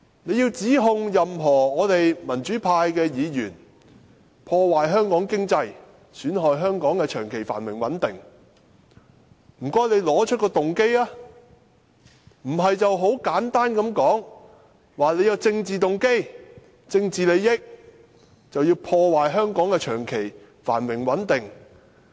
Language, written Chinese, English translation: Cantonese, 他們想指控任何一位民主派議員破壞香港經濟、損害香港的長期繁榮穩定，請他們指出動機，不要很簡單地說，我們存有政治動機和政治利益，所以要破壞香港的長期繁榮穩定。, If they want to accuse any democrats of ruining Hong Kongs economy or undermining Hong Kongs long - term prosperity and stability would they please state our intention . Do not simply say that we have a political agenda or political interest and thus we want to undermine the long - term prosperity and stability of Hong Kong